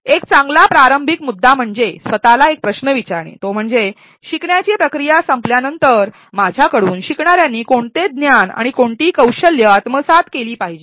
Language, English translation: Marathi, A good starting point is to ask yourself a question which is that, what knowledge or skills do I want my learners to take away after the finish of the learning process